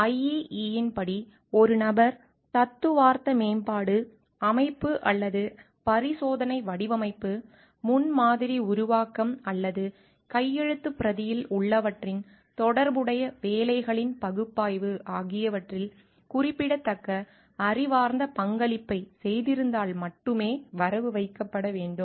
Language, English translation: Tamil, As per I EEE authorship should be only be credited when a person has made a significant intellectual contribution with respect to theoretical development, system or experiment design, prototype development, or analysis of associated work of what is contained in the manuscript